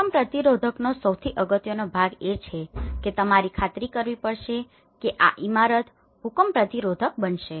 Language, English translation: Gujarati, The most important part in earthquake resistance is you have to ensure that this is going to be an earthquake resistant building